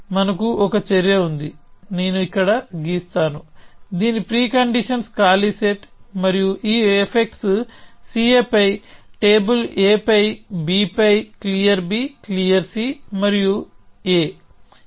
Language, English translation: Telugu, So, we have an action; let me draw it here, whose preconditions is the empty set and whose effects are these things on C A on table A on table B, clear B, clear C and A